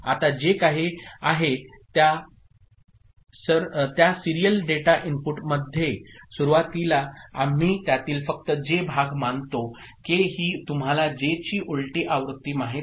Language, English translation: Marathi, Now; whatever is there in the serial data input, in the beginning we consider only the J part of it, K is just a you know inverted version of J